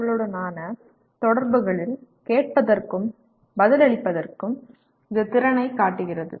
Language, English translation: Tamil, And it also demonstrated by ability to listen and respond in interactions with others